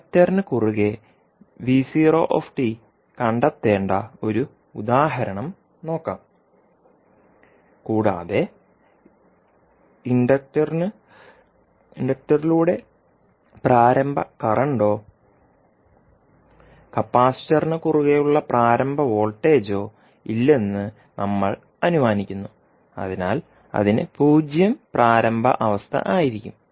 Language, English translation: Malayalam, Let us take one example where we need to find out v naught at any time T across the inductor and we assume that there is no initial current through the inductor or initial voltage across the capacitor, so it will have the 0 initial condition